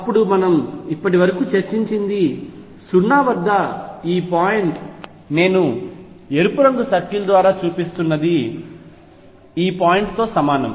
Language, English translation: Telugu, Then what we have discussed So far is this point at 0 which I am showing by red circle is equivalent to this point